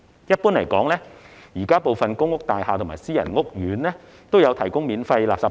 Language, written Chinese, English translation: Cantonese, 一般而言，現時部分公屋大廈及私人屋苑也有提供免費垃圾袋。, In general free garbage bags are currently provided in some PRH buildings and private housing estates